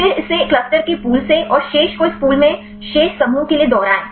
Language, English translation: Hindi, Then eliminate it from the pool of clusters and the remaining the repeat for the remaining clusters in this pool